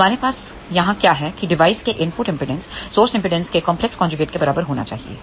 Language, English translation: Hindi, So, what we have here that input impedance of the device should be complex conjugate of the source reflection coefficient